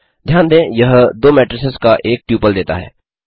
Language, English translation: Hindi, Note that it returned a tuple of two matrices